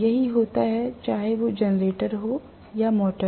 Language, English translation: Hindi, That is what happens whether it is a generator or motor